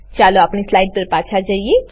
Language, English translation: Gujarati, Let us move back to our slides